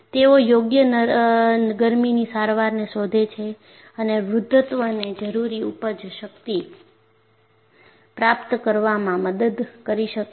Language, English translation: Gujarati, So, they find suitable heat treatment and ageing can help to achieve the required yield strength